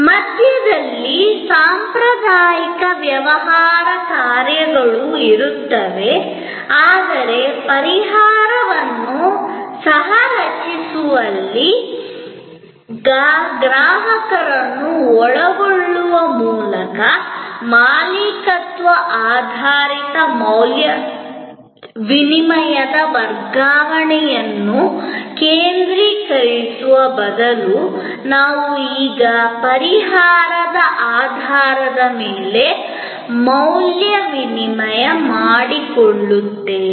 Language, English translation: Kannada, There will be the traditional business functions in the middle, but by involving customer in co creating the solution, instead of focusing on transfer of ownership based value exchange, we now the value exchange based on solution